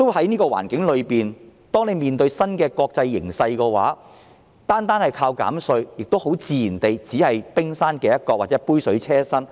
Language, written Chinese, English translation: Cantonese, 在這個環境中，面對新的國際形勢，單靠減稅，自然只是杯水車薪。, Under these circumstances and the new international development reduction of tax alone will naturally be a drop in the bucket only